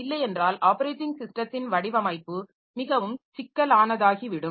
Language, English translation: Tamil, Then the design of the operating system will become very complex